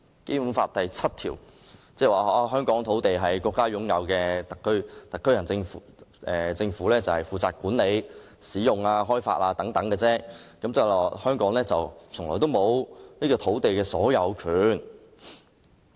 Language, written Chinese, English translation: Cantonese, 《基本法》第七條訂明香港的土地屬於國家所有，由香港特別行政區政府負責管理、使用、開發，即是說香港沒有土地的所有權。, Article 7 of the Basic Law provides that the land within HKSAR shall be State property and the Government of HKSAR shall be responsible for their management use and development . In other words Hong Kong does not have ownership of the land